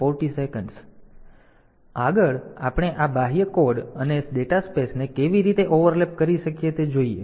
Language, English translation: Gujarati, So, next we look into how can we overlap this external code and data spaces